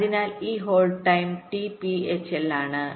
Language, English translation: Malayalam, so this hold time is t p h l